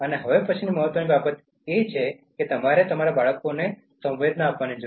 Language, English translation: Gujarati, The next important thing is you need to sensitize your children